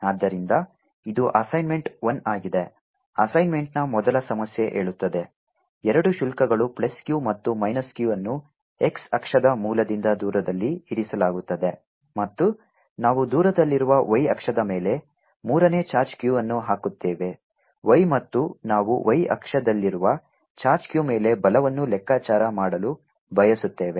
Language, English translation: Kannada, the first problem of the assignment says there are two charges, plus q and minus q, placed at a distance a from the origin on the x axis, and we put a third charge, q, on the y axis at a distance y, and we wish to calculate the force on the charge q which is on the y axis